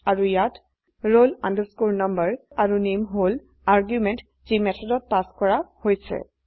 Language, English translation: Assamese, And here roll number and name are the arguments passed in the method